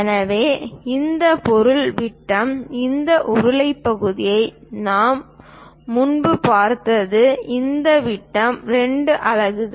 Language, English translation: Tamil, So, the diameter for this object this cylindrical part what we have looked at earlier, this one this diameter is 2 units